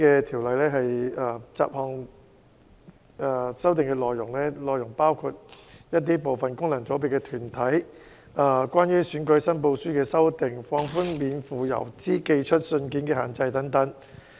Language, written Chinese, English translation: Cantonese, 《條例草案》的修訂包括部分功能界別的組成團體、選舉申報書的修正，以及免付郵資投寄的信件的尺碼規定。, Amendments proposed in the Bill include umbrella organizations of some functional constituencies rectifications in election returns and requirement on the size of each letter that may be sent free of postage